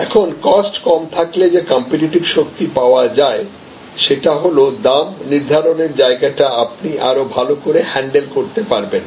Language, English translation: Bengali, Now, competitive strengths that come up from the lower cost is that you have a much better handle on pricing